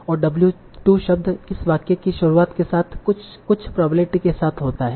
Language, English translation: Hindi, With the start of the sentence, what W2 occurs with some probability